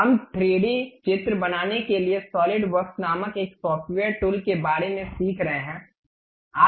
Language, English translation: Hindi, We are learning about a software tool named Solidworks to construct 3D drawings